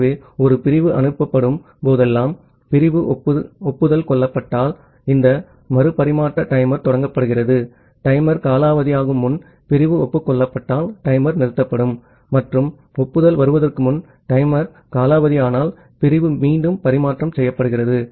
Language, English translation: Tamil, So, whenever a segment is sent, this retransmission timer is started if the segment is acknowledged so, if the segment is acknowledged before the timer expires the timer is stopped and if the timer expires before the acknowledgement comes, the segment is retransmitted